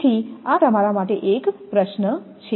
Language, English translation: Gujarati, So, this is a quiz to you